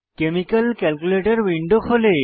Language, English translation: Bengali, Chemical calculator window opens